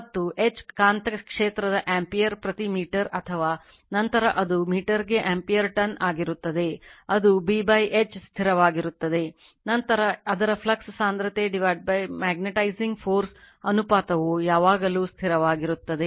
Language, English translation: Kannada, And H right the magnetic field ampere per meter or we will later we will see it is ampere tons per meter that B by H is constant, then its flux density by magnetizing force ratio is always constant right